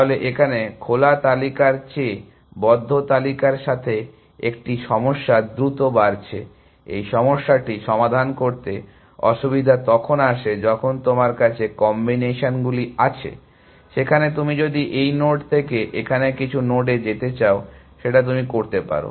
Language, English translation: Bengali, So here, is one problem with the close list is growing faster than the open list, the difficulty in solving this problem comes when the combinations which you have, there if you want to go from this node to some node here, there are you can go like this; or you can go like this; or you can go like this; or you can go like this